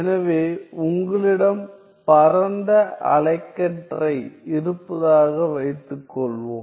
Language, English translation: Tamil, So, suppose you have wide spectrum